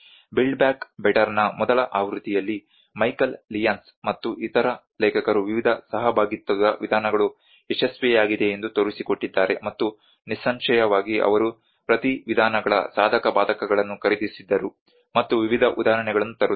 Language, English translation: Kannada, In the first version of build back better where Michael Lyons and other authors have demonstrated the various participatory approaches have been successful and obviously they also bought the pros and cons of each approaches and bringing various case examples